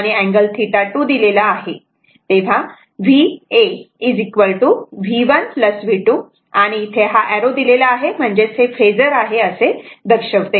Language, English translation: Marathi, So, v A is equal to V 1 plus V 2 arrow is given to represent it is phasor